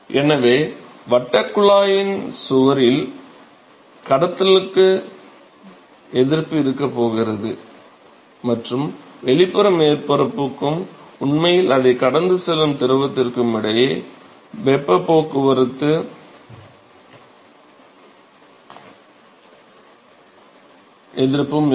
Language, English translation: Tamil, So, there is going to be a resistance to conduction in the wall of the circular tube and there is also be resistance for heat transport between the external surface and the fluid which is actually flowing past it ok